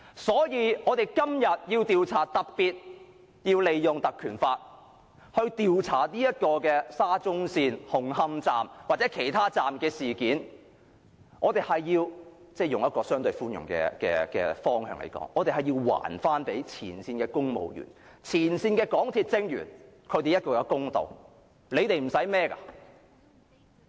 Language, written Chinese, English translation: Cantonese, 所以，我們今天特別要引用《條例》調查沙中線的紅磡站或其他車站的事件，以相對寬容的方向來說，我們要還前線公務員和前線港鐵職員一個公道。, Thus we must invoke the Ordinance today to inquire into the incident of the Hung Hom Station or other stations of SCL so as to do justice to frontline civil servants and frontline MTRCL staff in a more lenient manner